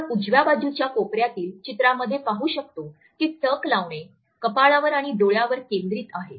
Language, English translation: Marathi, As you can make out by looking at the picture on the right hand side corner that the gaze is focused on the forehead and eyes